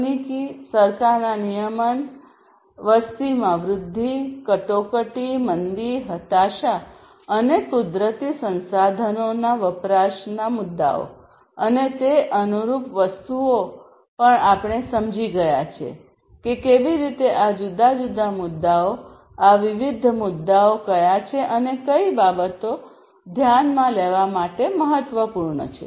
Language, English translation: Gujarati, Issues of technology, government regulation, growth of population, crisis, recession, depression, and consumption of natural resources, and they are corresponding things also we have understood that how these, what are these different issues and what are what is important for consideration of these different issues